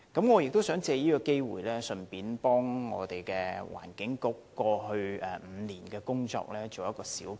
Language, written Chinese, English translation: Cantonese, 我想藉此機會為環境局過去5年的工作作一小結。, Let me take this opportunity to briefly comment on the work of the Environment Bureau over the past five years